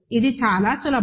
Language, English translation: Telugu, So, this is very easy